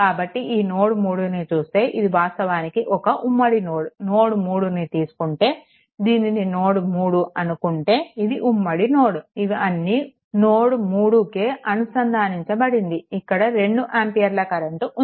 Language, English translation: Telugu, So, here also this is a this is actually is a common node at node 3 if you take this is my node 3 that if you look into that this is also common node; that means, this 2 ampere current is there